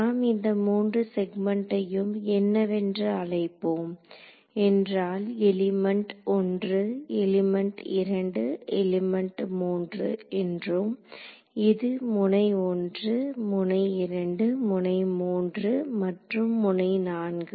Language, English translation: Tamil, For these 3 segments let us so what are what will call them is this is element 1, element 2, element 3 and this is node 1, node 2, node 3 and node 4 ok